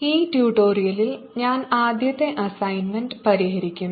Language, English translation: Malayalam, in this tutorial i will be solving the first assignment